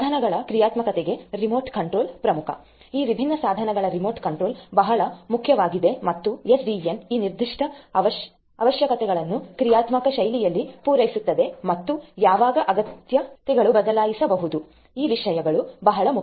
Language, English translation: Kannada, Remote control of you know the devices functionalities is very important remote activation remote control of these different devices is important and SDN can cater to this particular requirement in a dynamic fashion as and when and the requirement changes it can be done so, these things are very important